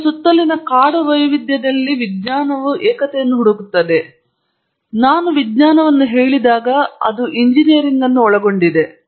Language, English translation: Kannada, Science seeks unity in the wild variety around us, when I say science it include engineering